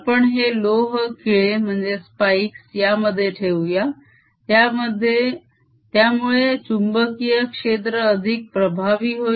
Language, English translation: Marathi, put these iron spikes which make the magnetic field very strong here